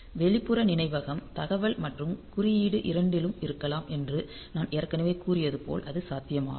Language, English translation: Tamil, And we can as you as I have already said that we may have external memory as both data and code so that is possible